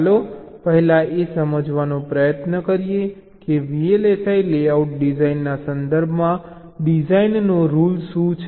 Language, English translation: Gujarati, ok, let us first try to understand what is a design rule in the context of vlsi layout design